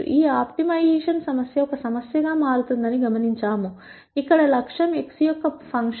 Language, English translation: Telugu, We observe that this optimization problem becomes a problem, where the objective is a function of x